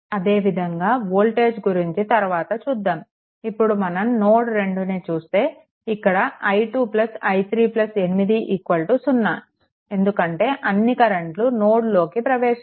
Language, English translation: Telugu, And similarly voltage will come later similarly if you come to node 2, then i 2 plus i 3 plus 8 is equal to 0 because all current are entering into the node